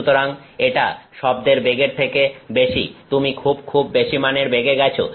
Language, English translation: Bengali, So, that is higher than the speed of sound, you are going at velocities very high very high velocities